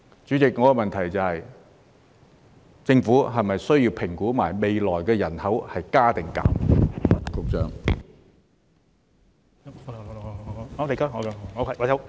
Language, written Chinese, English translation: Cantonese, 主席，我的補充質詢是，政府是否需要一併評估未來人口是增加或減少？, President my supplementary question is this Is there a need for the Government to also assess whether the future population will increase or decrease?